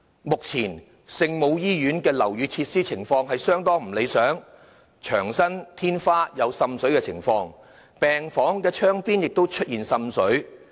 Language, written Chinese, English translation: Cantonese, 目前，聖母醫院的樓宇設施情況相當不理想，牆身、天花有滲水的情況，病房窗邊亦出現滲水。, At present the building facilities of the hospital are in fairly poor conditions there is seepage on walls ceiling and along windows in wards